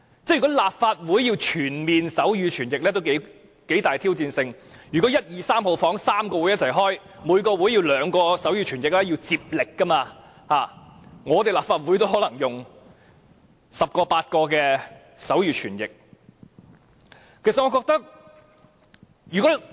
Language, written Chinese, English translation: Cantonese, 如果立法會要全面提供手語傳譯服務，也頗具挑戰性，如果會議室1、2、3同時舉行會議，每個會議需要兩名手語傳譯員接力，立法會可能也需要8名至10名手語傳譯員。, It will also be quite challenging for the Legislative Council to provide comprehensive sign language interpretation service . If there are meetings being held at Conference Rooms 1 2 and 3 at the same time while each meeting will require two sign language interpreters taking turns to provide the service the Legislative Council may need 8 to 10 sign language interpreters . I also know some people with hearing impairment